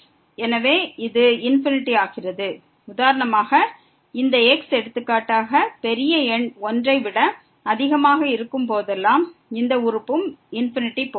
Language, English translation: Tamil, So, this becomes infinity and here whenever this is for example, large number greater than 1, then this term is also going to infinity